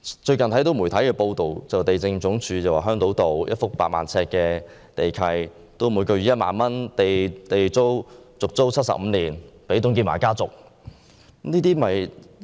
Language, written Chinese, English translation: Cantonese, 最近有媒體報道，地政總署將香島道一幅8萬平方呎的土地，以每月1萬元的地租續租予董建華家族75年。, Recently it was reported in the media that LD has renewed the lease of a site covering 80 000 sq ft on Island Road to the family of TUNG Chee - hwa for 75 years for 10,000 a month